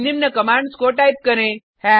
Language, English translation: Hindi, Now type the following commands